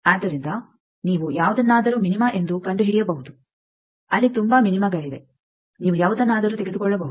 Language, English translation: Kannada, So, you can find out any one as the minima there are several minima's any one you take